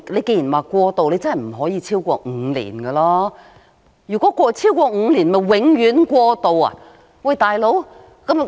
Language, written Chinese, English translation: Cantonese, 既然是過渡，便不能超過5年，否則豈非變成"永遠過渡"，"老兄"？, Generally speaking since it is transitional it cannot exceed five years otherwise will it not be turned into permanent transitional buddy?